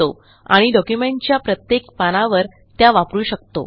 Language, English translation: Marathi, This will be replicated on all the pages of the document